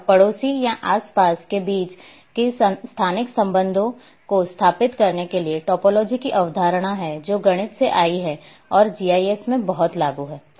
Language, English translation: Hindi, And in order to establish that spatial relationships between neighbouring or adjacent features a topology a concept of topology which has come from mathematics is very much implemented into GIS